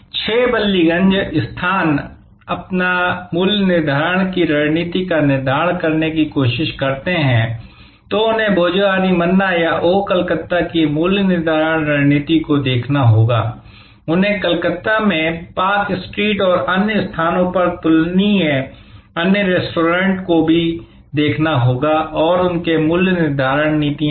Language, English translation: Hindi, So, when 6 Ballygunge places trying to determine their pricing strategy, they have to look at the pricing strategy of Bhojohori Manna or of Oh Calcutta, they have to also look at the comparable, other restaurants at park street and other places in Calcutta and their pricing policies